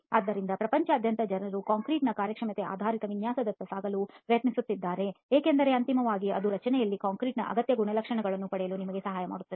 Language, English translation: Kannada, So increasingly the world over people are trying to move towards performance based design of concrete because ultimately that will help you get the required characteristics of the concrete in the structure